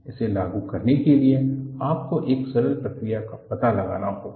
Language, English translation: Hindi, You have to find out a simpler procedure for you to implement it